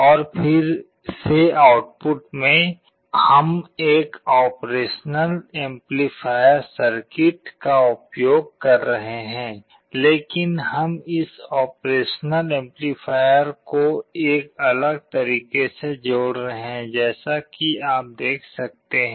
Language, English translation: Hindi, And in the output again, we are using an operational amplifier circuit, but we are connecting this op amp in a different way as you can see